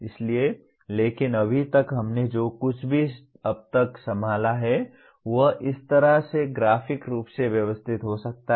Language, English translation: Hindi, So but right now whatever we have handled till now can be graphically organized like this